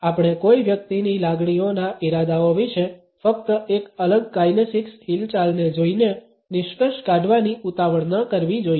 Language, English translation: Gujarati, We should never be in a hurry to conclude about the intentions of feelings of the other person simply by looking at an isolated kinesics movement